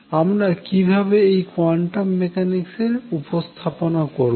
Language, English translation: Bengali, The questions that arises that quantum mechanics is not complete